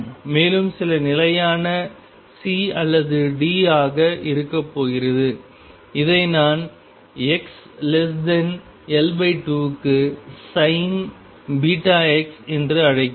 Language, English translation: Tamil, And is going to be some constant C or d does not matter what I call it sin beta x for x mod x less than L by 2